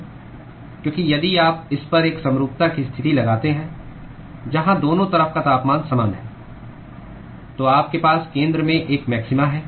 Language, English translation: Hindi, Because if you impose a symmetry condition on this where the temperatures on both sides are same, then you have a maxima at the center